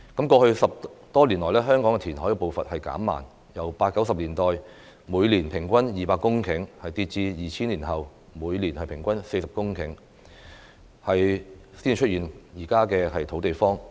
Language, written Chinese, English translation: Cantonese, 過去10多年來，香港填海步伐減慢，由八九十年代每年平均200公頃，跌至2000年後每年平均40公頃，才會出現時的"土地荒"。, Over the past decade the reclamation process in Hong Kong has slowed down dropping from 200 hectares annually in the 1980s and 1990s to 40 hectares annually after 2000 which led to the current shortage of land